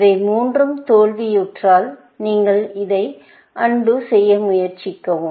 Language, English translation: Tamil, When all these three fail, then you undo this and try this